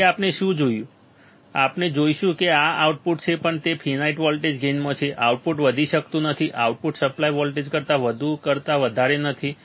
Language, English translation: Gujarati, So, what we will see, what we will see is that the output this output even it is in finite voltage gain, even it is in finite voltage gain, the output cannot exceed, output cannot exceed more than more than the supply voltage more than the supply voltage